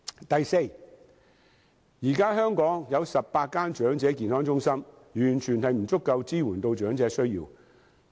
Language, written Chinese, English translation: Cantonese, 第四，現在香港有18所長者健康中心，絕對不足以支援長者需要。, Fourth at present there is a total of 18 Elderly Health Centres EHCs in Hong Kong . They are absolutely inadequate to support the needs of the elderly people